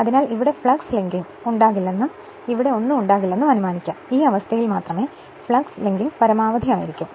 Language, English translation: Malayalam, So, there will be assuming there will be no flux linking here and nothing will be here, and only under this condition flux linking will be maximum